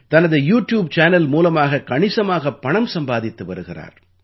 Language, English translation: Tamil, He is earning a lot through his YouTube Channel